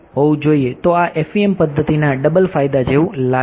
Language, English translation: Gujarati, So, these are like double advantage of FEM methods